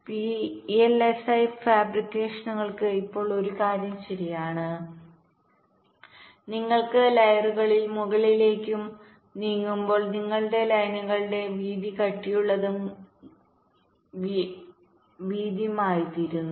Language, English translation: Malayalam, now one thing is true for vlsi fabrications: as you move up and up in the layers, the width of your lines become thicker and thicker, wider and wider